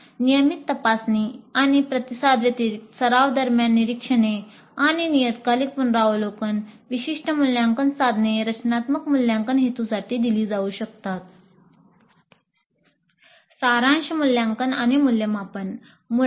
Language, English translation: Marathi, Apart from the regular probing and responding observations during practice and periodic review, specific assessment instruments could be administered for formative assessment purposes